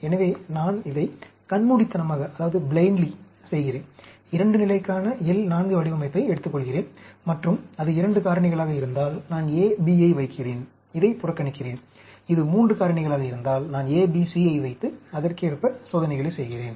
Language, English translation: Tamil, So, I just blindly do this, take the, pick up the L 4 design for 2 level, and if it is 2 factors, I put A, B, ignore this; if it is 3 factors, I put A, B, C, and do the experiments accordingly